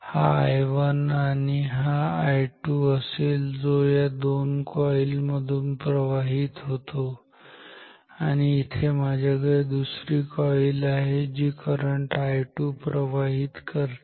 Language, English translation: Marathi, So, basically I have two currents I 1 and I 2 this is I 1 which flows through this 2 coils and here I have another coil which carries a current I 2